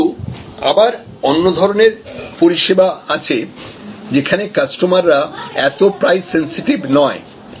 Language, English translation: Bengali, But, there are many other services, where actually customer may not have that price sensitivity